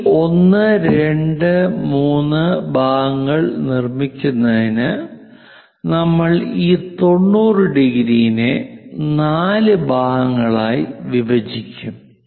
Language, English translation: Malayalam, So, to construct these 1 2 3 parts what we are going to do is again we will divide this 90 into 4 parts